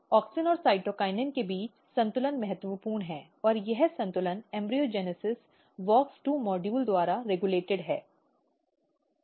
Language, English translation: Hindi, The balance between auxin and cytokinin is important and this balance is embryogenesis is regulated by WOX2 module